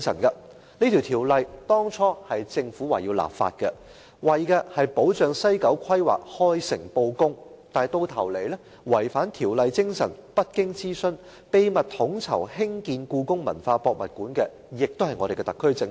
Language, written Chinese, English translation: Cantonese, 這條例當初由政府訂立，目的是保障西九規劃開誠布公，但最終違反《條例》精神，不經諮詢，秘密統籌興建故宮館的同樣是特區政府。, The Ordinance was initially enacted by the Government with the objective of ensuring that the planning of WKCD would be conducted in an open and transparent manner but the spirit of the Ordinance has been violated in the end . The SAR Government has secretly coordinated the construction of HKPM without consultation